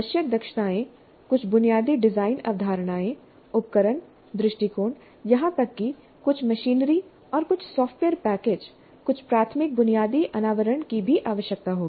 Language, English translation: Hindi, The competencies required, some basic design concepts, tools, attitude, even some machinery and some software packages, some elementary exposure, basic exposure would be required